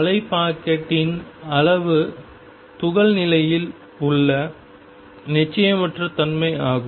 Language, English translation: Tamil, Then the extent of wave packet is the uncertainty in the position of the particle